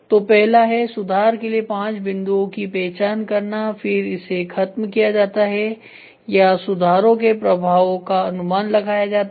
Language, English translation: Hindi, So, first is identify 5 points to improve, then it is eliminate or estimate the effect of improvement effects of improvement